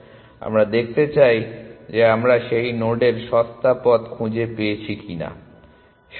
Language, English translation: Bengali, We want to see if we have found the cheaper path to that node or not, correct